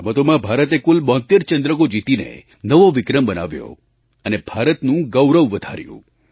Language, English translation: Gujarati, These athletes bagged a tally of 72 medals, creating a new, unprecedented record, bringing glory to the nation